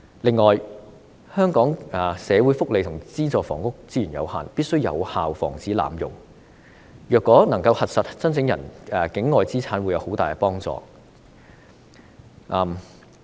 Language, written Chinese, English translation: Cantonese, 此外，香港的社會福利和資助房屋資源有限，必須有效防止濫用，如果能夠核實申請人境外資產會有很大幫助。, Besides since the social welfare and subsidized housing resources in Hong Kong are limited any abuse should be effectively prevented . It will be much helpful if the assets of the applicant outside the territory can be verified